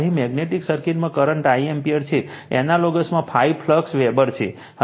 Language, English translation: Gujarati, Current here is I ampere in magnetic circuit in analogous is phi flux Weber